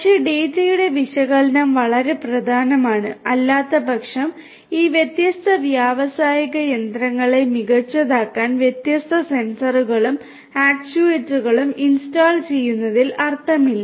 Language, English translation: Malayalam, But, the analysis of the data is very important because otherwise there is no point in installing different sensors and actuators to make these different industrial machinery smarter